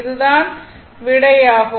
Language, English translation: Tamil, So, this is your answer